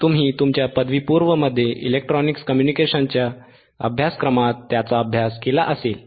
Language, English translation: Marathi, You may have studied in electronic communication course in your undergrad